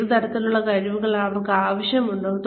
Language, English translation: Malayalam, What kinds of skills, will they need